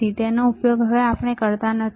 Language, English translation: Gujarati, We are not using it